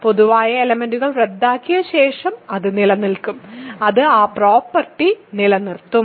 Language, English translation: Malayalam, So, after cancelling common factors, it will remain, it will retain that property right